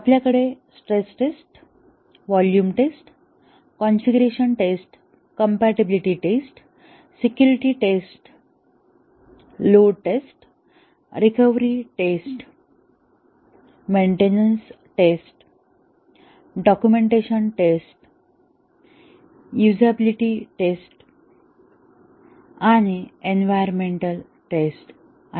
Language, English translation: Marathi, We can have stress tests, volume tests, configuration tests, compatibility tests, security tests, load test, recovery tests, maintenance tests, documentation tests, usability tests and environmental tests